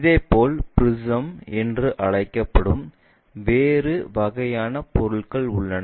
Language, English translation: Tamil, Similarly, there are different kind of objects which are called prisms